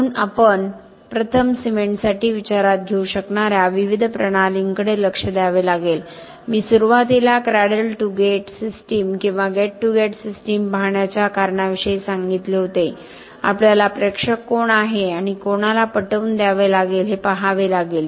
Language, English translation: Marathi, So we have to first look at the different systems that we could consider for cement I talked initially about the reason for looking at a cradle to gate system or a gate to gate system we have to see who is the audience and who we have to convince or what we have to take into account